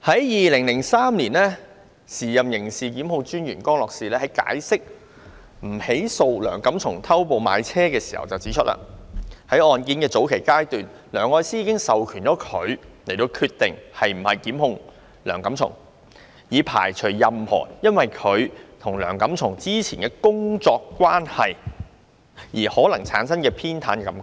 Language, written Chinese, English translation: Cantonese, 2003年，時任刑事檢控專員江樂士就不起訴梁錦松偷步買車時指出，在案件的早期階段，梁愛詩已授權他決定是否檢控梁錦松，以排除任何因她與梁錦松之前的工作關係而可能產生的偏袒感覺。, In 2003 regarding the case of Mr Antony LEUNG who jumped the gun in purchasing a car the incumbent Director of Public Prosecutions DPP Mr Ian Grenville CROSS made a point in relation to his decision not to prosecute Mr LEUNG . He said that Ms Elsie LEUNG had from the early stage of the case delegated to him the task of deciding whether or not to prosecute Mr LEUNG in order to avoid any possible perception of bias because of her former working relationship with Mr LEUNG